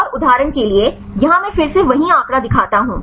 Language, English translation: Hindi, And for example, here I show the same figure again